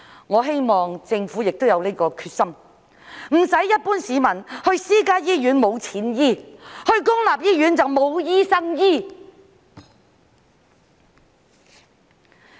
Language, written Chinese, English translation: Cantonese, 我希望政府亦有這個決心，不致令一般市民去私家醫院沒有錢醫治，去公立醫院則沒有醫生醫治。, I hope that the Government will also be determined to prevent the situation where the general public cannot afford medical treatment when they go to private hospitals but there are no doctors to treat them when they go to public hospitals